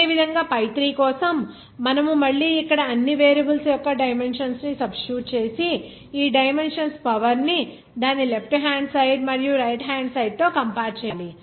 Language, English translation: Telugu, Similarly, for pi3, you will see that if you again substitute the dimensions of all variables here and compare the power of these dimensions on the left hand side and right hand side